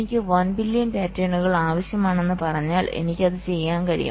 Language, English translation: Malayalam, if i say that i need one billion patterns, fine, i can do that